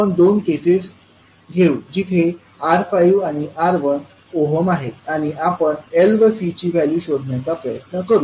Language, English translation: Marathi, So we will take 2 cases where R is 5 ohm and R is 1 ohm and we will try to find out the value of L and C